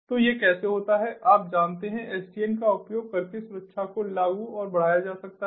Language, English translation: Hindi, so this is how you know, security is implemented and enhanced using sdn